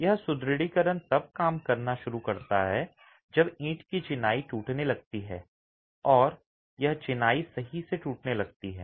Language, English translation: Hindi, This reinforcement starts acting when the brick masonry starts cracking or the masonry starts cracking